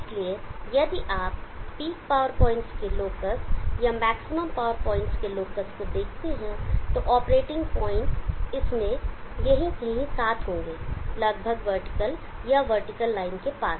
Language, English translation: Hindi, So if you see the locus of the peak power points or the locus of the maximum power points, the operating points will be along somewhere in this, almost vertical near vertical line